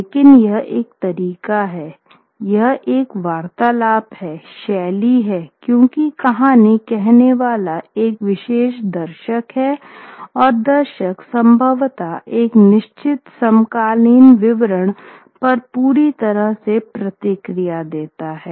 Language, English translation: Hindi, But it is a way to, it's a conversational sort of style because the storytellers are telling the story to a particular audience and the audience possibly responds to a certain contemporary detail a whole lot more